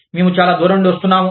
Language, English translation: Telugu, We are coming from, so far away